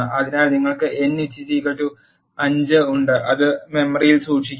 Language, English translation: Malayalam, So, you have n is equal to 5 it will keep it in memory